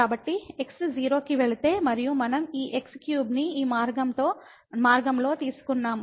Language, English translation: Telugu, So, if goes to 0 and we have taken this cube along this path